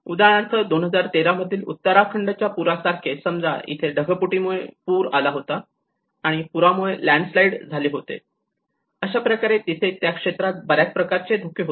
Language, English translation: Marathi, Like for instance in Uttarakhand 2013 flood, a cloudburst have resulted in the floods, and floods have resulted in the landslides